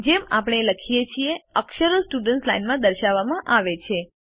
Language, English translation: Gujarati, As we type, the characters are displayed in the Students Line